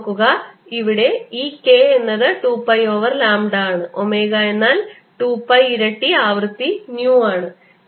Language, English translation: Malayalam, i want to remind you that this k is two pi over lambda and omega is two pi times a frequency nu